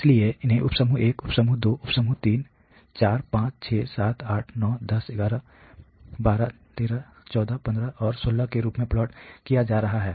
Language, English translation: Hindi, So, those are being plotted as sub group 1 sub group 2 sub group, 3, 4, 5, 6, 7, 8, 9, 10, 11, 12, 13, 14, 15 and 16 ok